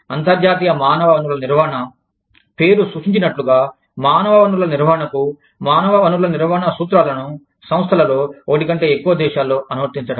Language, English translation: Telugu, So, international human resource management, as the name indicates, is the application of human resource principles, to the management of human resources, in organizations, that are in, more than one country